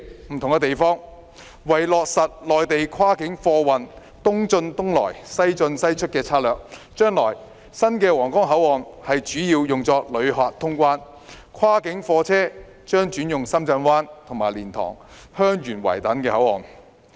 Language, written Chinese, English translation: Cantonese, 不同的地方是落實內地跨境貨運"東進東出、西進西出"的策略，將來新的皇崗口岸主要是用作旅客通關，跨境貨車將轉用深圳灣和蓮塘/香園圍等口岸。, The difference is that the East in East out West in West out planning strategy for cross - boundary goods traffic will be implemented there with the new Huanggang Port mainly used for passenger traffic while cross - boundary goods vehicles will have to use the Shenzhen Bay Port and the LiantangHeung Yuen Wai Control Point